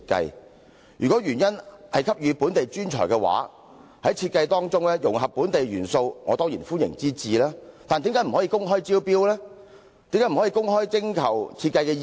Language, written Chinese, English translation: Cantonese, 如政府的原意是給予本地專才機會，在設計當中融合本地元素，我當然歡迎之至，但為何不可以公開招標及徵求設計意念？, If the Governments intent was to offer the chance to local talent it could require the proposed design to incorporate local features . I would definitely welcome such an approach . Why did the Government not conduct an open tender exercise and invite design proposals?